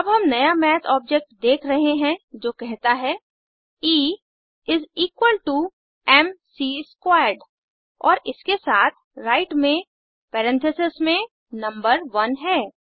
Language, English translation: Hindi, We are now seeing a new Math object that says E is equal to m c squared and along with that, the number one within parentheses, on the right